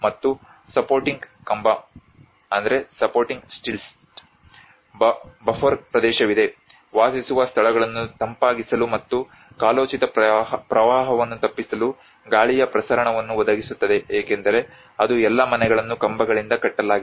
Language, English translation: Kannada, And there is a supporting stilts, a buffer area, provide air circulation to cool living spaces and avoid seasonal flooding because that is one aspect all the houses are raised in a stilt